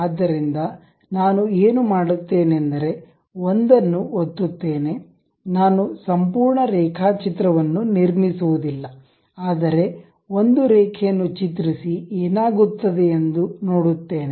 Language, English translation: Kannada, So, what I will do is click one, I would not construct a complete sketch, but something like a lines only we will construct see what will happen